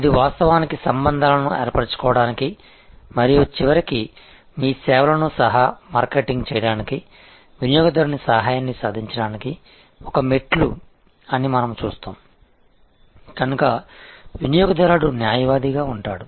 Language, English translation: Telugu, We will see that this is actually a stairway to forming relationships and ultimately achieving the customer's help for co marketing your services, so customer as advocate